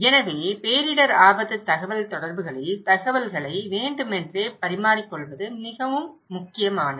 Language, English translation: Tamil, So, purposeful exchange of information in disaster risk communication is very important